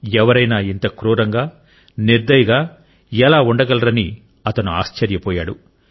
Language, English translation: Telugu, He was left stunned at how one could be so merciless